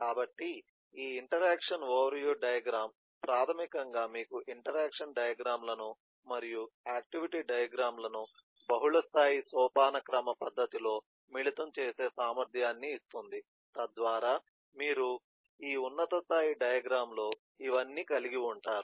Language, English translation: Telugu, so this interaction overview diagram basically gives you an ability to combine the interaction diagrams and the activity diagrams in a multilevel hierarchical manner so that you have all these in the top level diagram